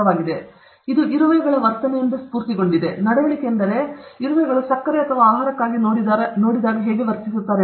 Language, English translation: Kannada, It is inspired by foraging behavior of ants; foraging behavior means how they behave when they look for sugar or food